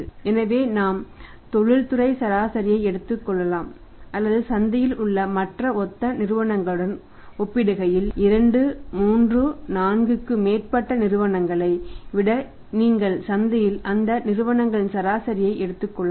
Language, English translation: Tamil, So, we can take the industry average or we can take the say becoming the comparison with the other similar firm in the market not if industry than 2, 3, 4 more firms you can take the average of those firms in the market